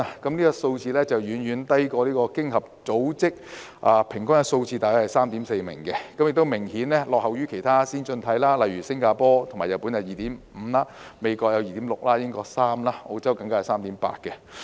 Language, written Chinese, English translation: Cantonese, 這數字遠遠低於經合組織的平均數字，亦明顯落後於其他先進經濟體，例如新加坡和日本有 2.5 名，美國有 2.6 名，英國有3名，澳洲更有 3.8 名。, This figure is way below the average of the Organisation for Economic Co - operation and Development as a whole and it significantly lags behind other advanced economies such as 2.5 for Singapore and Japan 2.6 for the United States 3 for the United Kingdom and even 3.8 for Australia